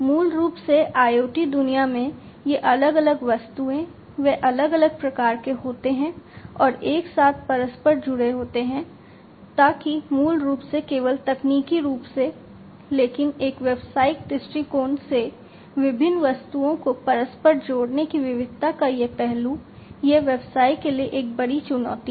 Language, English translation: Hindi, So, basically these different objects typically in the IoT world, they are you know they are of different types and they are interconnected together, so that basically also poses not only technically, but from a business perspective, this aspect of diversity of interconnecting different objects, it poses a huge challenge for the businesses